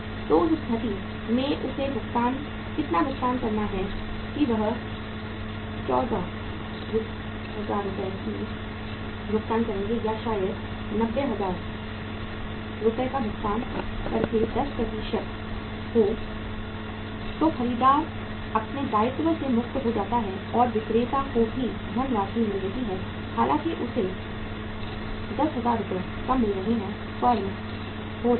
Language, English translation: Hindi, So in that case how much he has to pay that by paying 95,000 Rs or maybe if the discount is 10% by paying 90,000 Rs the buyer is set free from his obligation and the seller is also getting the funds though 10,000 Rs lesser he is getting, firm is getting